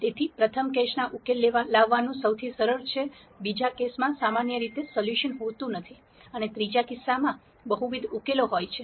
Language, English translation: Gujarati, So, the first case is the easiest to solve the second case does not have solution usually, and the third case has multiple solutions